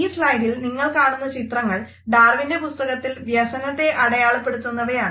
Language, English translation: Malayalam, The photographs which you can see on this slide are the illustration of grief from this book by Darwin